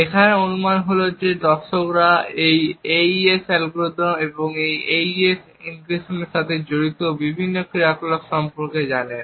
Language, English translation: Bengali, The assumption here is that the viewers know about this AES algorithm and the various operations that are involved with an AES encryption